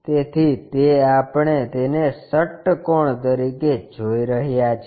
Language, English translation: Gujarati, So, that one what we are seeing it as a hexagon